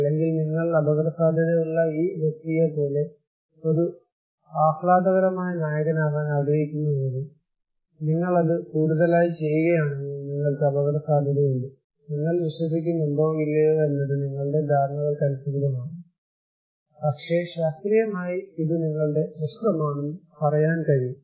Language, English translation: Malayalam, Or maybe if you want to be a flamboyant hero like this guy you are at risk, if you are doing it at high or any place, you are at risk, you believe it or not, is simply up to your perceptions, but scientifically we can tell that this is your problem